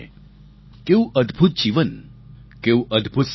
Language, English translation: Gujarati, What a wonderful life, what a dedicated mission